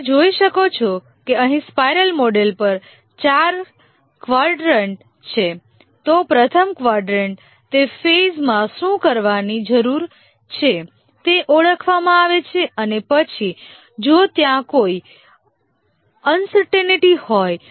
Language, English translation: Gujarati, If you can see there are four quadrants here on the spiral model, the first quadrant, what needs to be done in that phase is identified